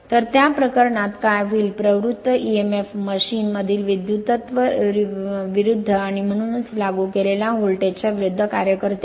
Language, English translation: Marathi, So, in that case what will happen the induced emf acts in opposition to the current in the machine and therefore, to the applied voltage